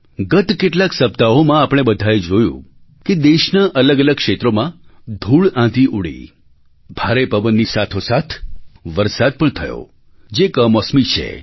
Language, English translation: Gujarati, In the past few weeks, we all witnessed that there were dust storms in the different regions of the country, along with heavy winds and unseasonal heavy rains